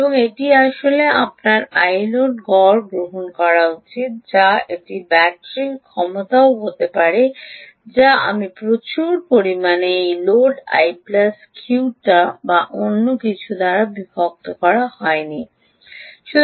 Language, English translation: Bengali, actually you should take the average of the i load, or it can also be capacity of the battery being ampere hours divided by average of i load plus i q, or nothing but the i quiescent current